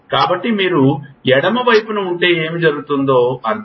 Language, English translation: Telugu, So, if you have on the left side that means what happens